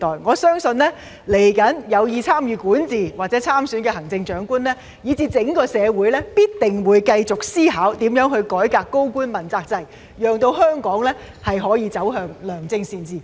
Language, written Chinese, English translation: Cantonese, 我相信未來有意參與管治或參選行政長官的人才，以至整個社會，必定會繼續思考如何改革高官問責制，讓香港可以實現良政善治。, I believe that talents who intend to participate in governance or the Chief Executive election in the future as well as the whole community will continue to ponder how to reform the accountability system for senior officials so that Hong Kong can realize good governance